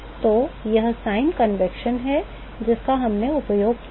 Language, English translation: Hindi, So, that is the sign convention that we have used ok